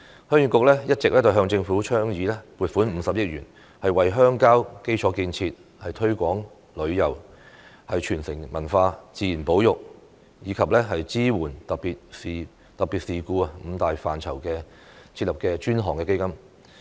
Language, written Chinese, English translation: Cantonese, 鄉議局一直向政府倡議撥款50億元，為鄉郊基礎建設、推廣旅遊、傳承文化、自然保育及支援特別事故五大範疇設立專項基金。, The Heung Yee Kuk has all along advised the Government to allocate 5 billion to set up a designated fund for such five major areas as rural infrastructure development tourism promotion cultural inheritance nature conservation and assistance in special incidents